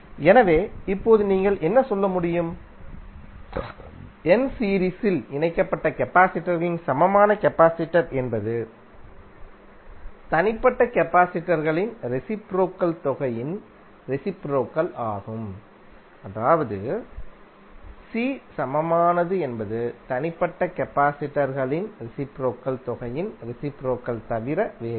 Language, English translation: Tamil, So now what you can say, equivalent capacitance of n series connected capacitors is reciprocal of the sum of the reciprocal of individual capacitances, that is c equivalent is nothing but reciprocal of the sum of the reciprocal of the individual capacitances, right